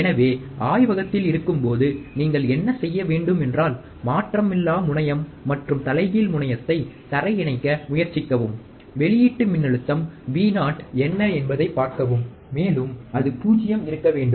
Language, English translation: Tamil, So, what you would should do when you are in the laboratory is, try to ground the non inverting terminal and the inverting terminal, and see what is the output voltage Vo, and ideally it should be 0